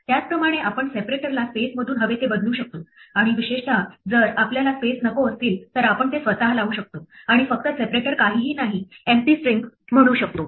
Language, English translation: Marathi, Similarly we can change the separator from a space to whatever we want and in particular if we do not want any spaces we can put them ourselves and just say the separator is nothing the empty string